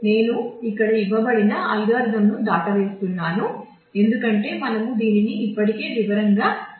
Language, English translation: Telugu, So, algorithm is given here I will skip it, because we have already done this in detail